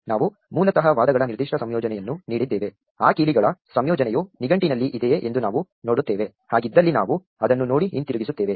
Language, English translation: Kannada, We basically for given the particular combination of arguments, we look up whether that combination of keys is there in the dictionary if so we look it up and return it